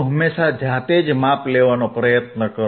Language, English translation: Gujarati, Always try to do yourthe measurements by yourself